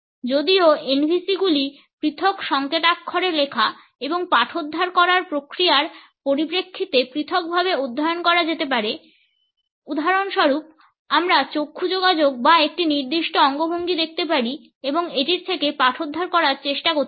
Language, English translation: Bengali, Though NVCs can be studied individually in terms of separate encoding and decoding processes; for example, we can look at eye contact or a particular gesture and can try to decode it